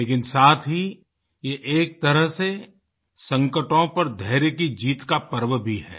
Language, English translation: Hindi, But, simultaneously, it is also the festival of victory of patience over crises